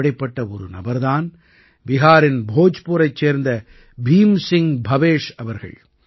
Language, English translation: Tamil, One such person is Bhim Singh Bhavesh ji of Bhojpur in Bihar